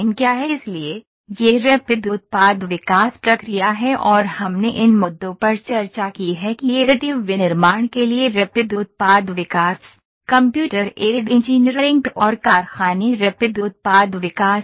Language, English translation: Hindi, So, this is Rapid Product Development process and we have discussed these issues here Rapid Product Development, Computer Aided Engineering and factory Rapid Product Development factory for the additive manufacturing